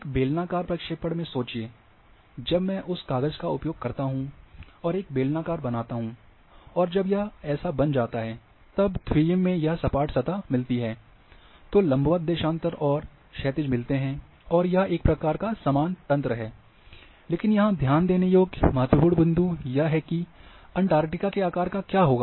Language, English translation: Hindi, Think in a cylindrical projection, when I use that sheet and make as a cylinder, when it is make, when we flatted in a 2 d, then we get these vertical and longitude and horizontal and a sort of uniform grid is there, but important point here is to note what happens to the shape of the Antarctica